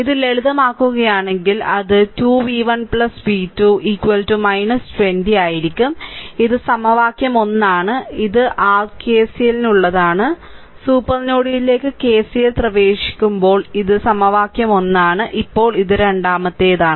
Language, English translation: Malayalam, So, if you simplify this it will be 2 v 1 plus v 2 is equal to minus 20, this is equation 1, this is for your what you call this is for your KCL when you are applying KCL to the supernode when you are applying KCL to the supernode, right, this is 1 equation, now let me clear it second one is ah ah